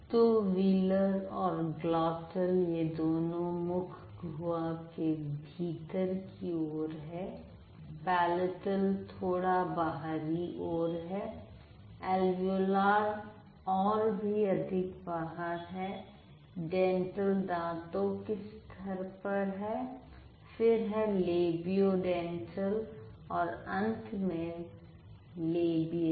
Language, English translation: Hindi, So, the wheeler and then the glottal, they are towards the inside, the inner side of the mouth cavity, and palatal is a little outer, alveolar is further outer, dental is at the teeth level, then the labiodental and finally labial